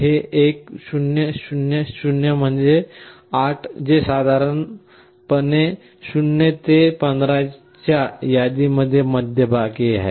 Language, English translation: Marathi, This 1 0 0 0 means 8, which is approximately the middle of the range 0 to 15